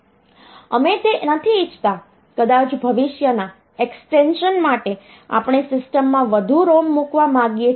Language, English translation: Gujarati, So, we do not want that may be for the future extension we would like to put more ROMs into the system